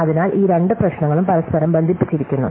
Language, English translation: Malayalam, So, these two problem look connected and in fact they are